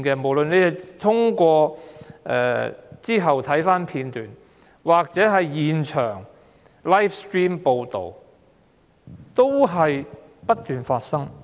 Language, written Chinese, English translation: Cantonese, 無論事後翻看片段，或現場直播報道，太多個案不斷發生。, No matter in video recording or live broadcast you can see the happening of so many similar incidents